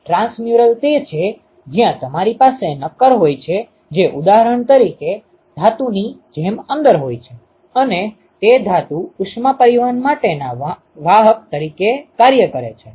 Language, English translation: Gujarati, Transmural is where you have a solid which is present inside like a metal for example, and that metal acts as a carrier for heat transport